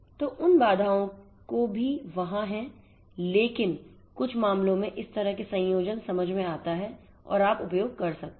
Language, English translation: Hindi, So, those constants are also there, but you know certain cases you know this kind of combination will make sense and one could use